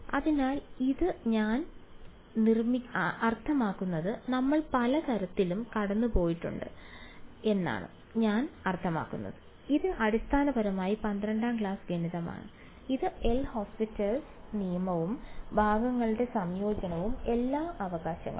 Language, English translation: Malayalam, So, this is I mean we have gone through a lot of very sort of I mean this is basically class 12th math right L’Hopital’s rule and integration by parts and all of that right